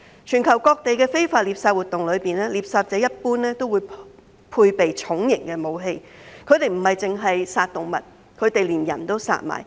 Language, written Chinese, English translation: Cantonese, 全球各地的非法獵殺活動中，獵殺者一般都會配備重型武器，他們不只殺動物，他們連人都殺。, During illegal poaching activities poachers around the world are generally armed with heavy weapons killing not only animals but also humans